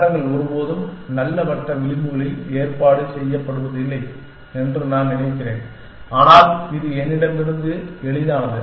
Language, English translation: Tamil, I mean cities are never arrange in nice circle edges but, it is easier from me essentially